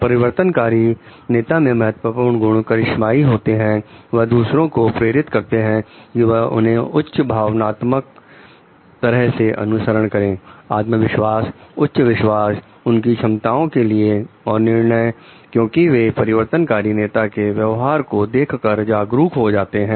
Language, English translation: Hindi, Key characteristics of transformational leaders are charisma they inspire others to follow them in a highly emotional manner, self confidence, highly confident of their ability and judgment and others readily become of this become aware of this by observing the conduct of the transformational leaders